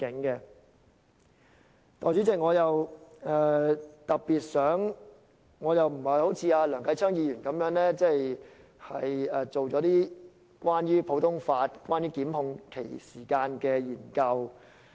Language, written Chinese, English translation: Cantonese, 代理主席，我不像梁繼昌議員般，做了一些關於普通法和檢控時限的研究。, Deputy Chairman unlike Mr Kenneth LEUNG I have not done any research on common law and time limit for prosecution